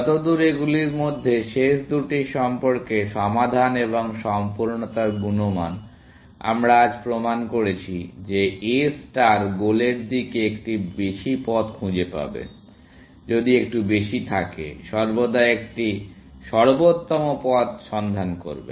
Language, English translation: Bengali, As far as the last two of these are concerned, the quality of solution and completeness, we have proved today, that A star will find a path to the goal, if there is a little, find an optimal path, always